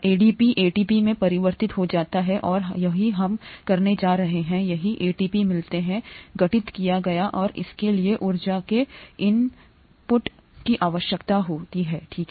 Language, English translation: Hindi, ADP gets converted to ATP and that’s what we are going to, that’s how ATP gets formed and that would require input of energy, okay